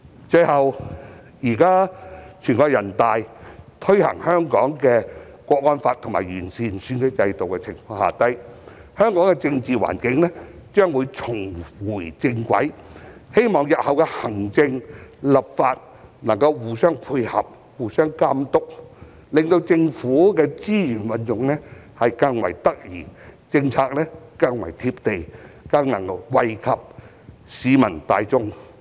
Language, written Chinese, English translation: Cantonese, 最後，現在全國人民代表大會已在香港推行《中華人民共和國香港特別行政區維護國家安全法》和完善選舉制度，香港的政治環境將會重回正軌，希望日後行政和立法能夠互相配合、互相監督，令政府的資源運用更為得宜，政府更為"貼地"，更能惠及市民大眾。, Last but not least the National Peoples Congress has already implemented the Law of the Peoples Republic of China on Safeguarding National Security in the Hong Kong Special Administrative Region and improved the electoral system in Hong Kong which will put the local political environment back onto the right track . I hope that the Executive Authorities and the Legislature will cooperate and monitor each other in future so that the Government can put its resources to better use become more down - to - earth and bring more benefits to the general public